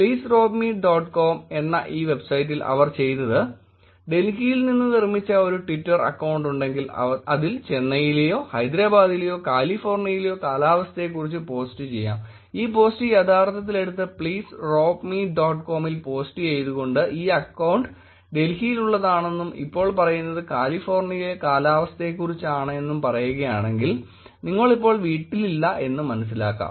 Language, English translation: Malayalam, This website what did they did was its called please rob me dot com, what we interestingly did was let us take it if I have a twitter account and I created it from Delhi and posting about weather in Chennai or Hyderabad or California they would actually pick this tweet and post it on please rob me dot com saying that this account was originally created from Delhi and whereas now this post is actually talking about weather in California, so probably you are not at home and therefore your homes should be locked